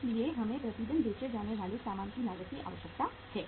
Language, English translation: Hindi, So uh we need the cost of goods sold per day